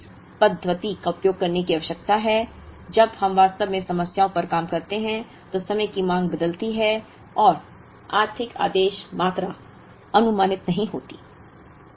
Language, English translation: Hindi, So, we need to use this method when we actually work with problems on, time varying demand and not approximate the economic order quantity